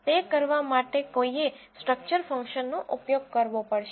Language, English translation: Gujarati, One has to use this structure function to do that